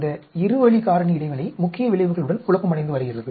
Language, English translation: Tamil, This two way factor interaction, interacting confounded with the main effect